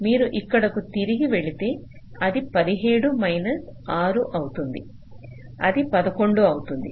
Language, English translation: Telugu, so if you go back here it will be seventeen minus six, it will be eleven